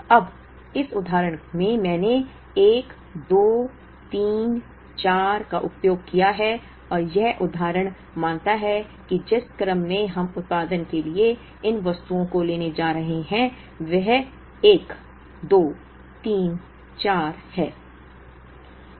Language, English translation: Hindi, Now, in this example I have used one, two, three, four and this example assumes that the order in which, we are going to take up these items for production is one, two, three, four